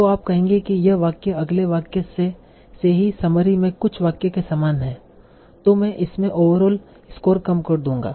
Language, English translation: Hindi, So you will say that, OK, sentence, if it is already similar to some sentence in the summary, I will reduce its overall score